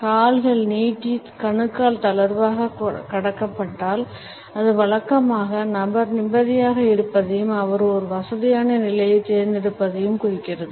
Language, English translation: Tamil, If the legs are outstretched and the ankles are loosely crossed, it usually signals that the person is at ease and his opted for a comfortable position